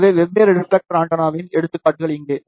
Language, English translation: Tamil, So, here are the examples of different reflector antenna